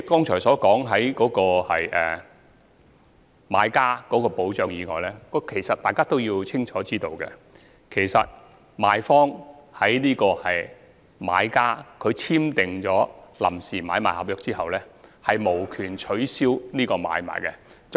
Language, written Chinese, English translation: Cantonese, 除了有關買家的保障外，相信大家都清楚知道，賣方無權在買家簽訂臨時買賣合約後取消這項買賣。, Apart from offering protection for purchasers we all know clearly that property vendors have no rights to cancel transactions after purchasers have signed PASPs